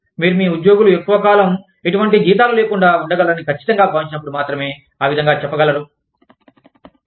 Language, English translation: Telugu, You can only say that, when you are sure, that your employees can sustain themselves, for long periods of time, without any salaries